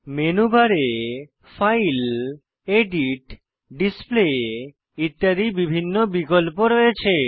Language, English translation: Bengali, In the menu bar, there are various options like File, Edit, Display, etc